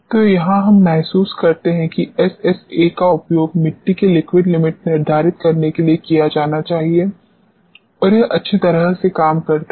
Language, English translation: Hindi, So, this is where we realize that SSA should be utilized to determine the liquid limit of the soils and it works out well